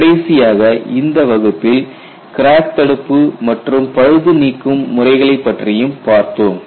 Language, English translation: Tamil, And in this class essentially we looked at crack arrest and repair methodologies